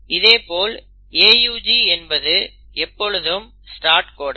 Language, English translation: Tamil, And for the AUG you have, this is always the start codon